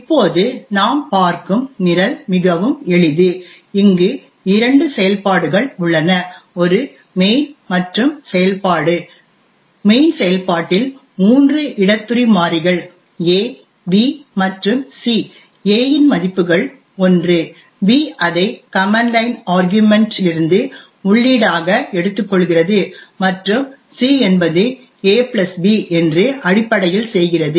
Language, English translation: Tamil, Now the program we look at is very simple there are two functions a main and the function, in the main function we have three local variables a, b and c, a has a value of 1, b takes it is input from the command line arguments and c essentially does a + b